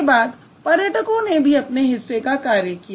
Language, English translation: Hindi, Then the travelers also did their share of work